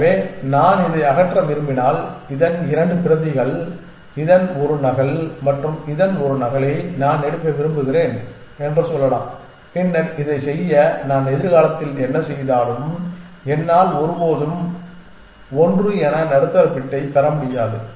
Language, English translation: Tamil, So, if I want to remove this, so let us say I want to take 2 copies of this, one copy of this and one copy of this then no matter what future churning that I do with this, I will never be able to get the middle bit as one